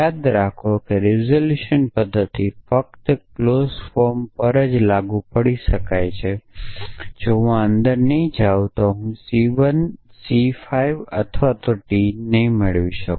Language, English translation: Gujarati, Remember that the resolution method applies only to clause form if I take this not inside I will get not of not of C 1 C 5 or T